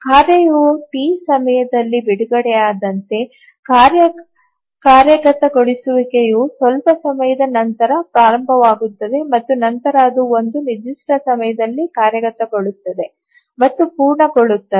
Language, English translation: Kannada, So as the task is released at time T, the task execution starts after some time and then it executes and completes at certain time